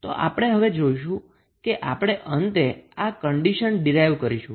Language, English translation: Gujarati, So, that we will see when we will finally derive the condition